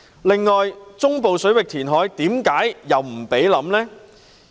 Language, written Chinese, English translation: Cantonese, 另外，中部水域填海為何又不容考慮呢？, Also why is it unacceptable to consider reclamation in the central waters?